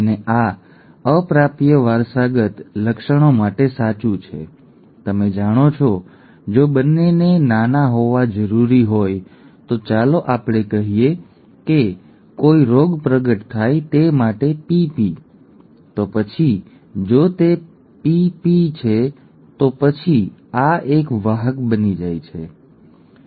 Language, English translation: Gujarati, And this is true for recessively inherited traits, you know, if both need to be small, let us say small p small p for a decease to manifest, then if it is capital P small P then this becomes a carrier, right